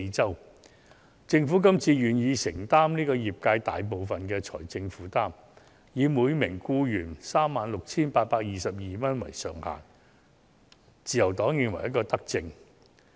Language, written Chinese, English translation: Cantonese, 對於政府這次願意承擔業界大部分的財政負擔，以每名僱員 36,822 元為上限，自由黨認為是一項德政。, Regarding the Governments agreement to shoulder the bulk of the financial burden on industries and cap the amount for each employee at 36,822 this time the Liberal Party thinks that it is a benevolent measure